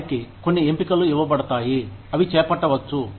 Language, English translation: Telugu, They are given a few choices, that they can take up